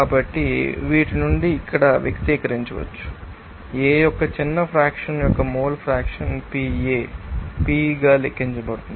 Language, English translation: Telugu, So, from these who can express here are what should be the mole fraction of you know a small fraction of A can be calculated as PA/P